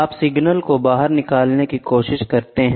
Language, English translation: Hindi, Then, you try to get the signal out, ok